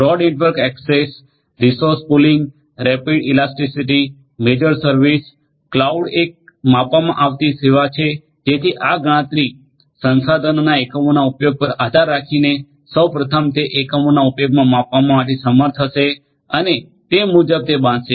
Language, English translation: Gujarati, Broad network access, resource pooling, rapid elasticity, measured service, cloud is a measured service so depending on the units of usage of this computation resources one will first of all one will be able to measure the units of use and then accordingly one is going to be built